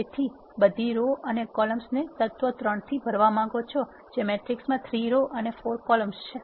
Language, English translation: Gujarati, So, you want to fill all the rows and columns with the element 3 which is a matrix which contains 3 rows and 4 columns